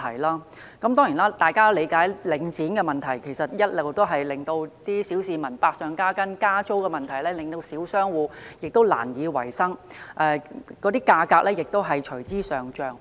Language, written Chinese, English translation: Cantonese, 大家都理解，領展的壟斷問題其實一直令小市民生活百上加斤，而領展的加租問題則令小商戶難以維生，物價亦隨之上漲。, As we all understand the monopoly of Link REIT has all along been a problem which imposes heavy burdens on the public while the rental increase by Link REIT has made it difficult for small businesses to survive and has in turn driven prices up